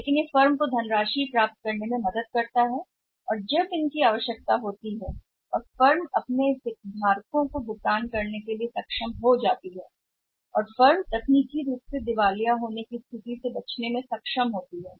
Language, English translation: Hindi, But it helps the firms to raise the funds as and when they are required and firm is able to make the payment to its different stakeholders when it has to be and firm is able to avoid the situation of technical insolvency